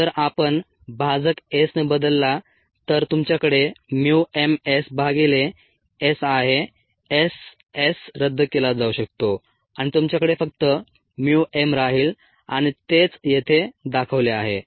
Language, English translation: Marathi, if he replace the denominator by s, you have mu m s by s, s, s can be canceled and you will be left with mu m alone and ah